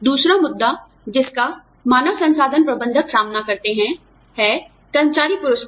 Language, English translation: Hindi, The other issue, that HR managers deal with, is employee rewards